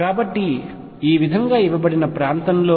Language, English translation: Telugu, So, in this region which is given like this